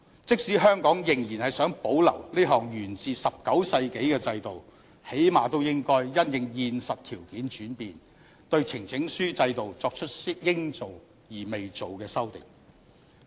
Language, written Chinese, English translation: Cantonese, 即使香港仍然想保留這項源自19世紀的制度，最低限度應該因應現實條件轉變，對呈請書制度作出應做而未做的修訂。, For the part of Hong Kong even if we want to preserve this nineteenth century system we should at least amend it but we have not done so with reference to the practical conditions changed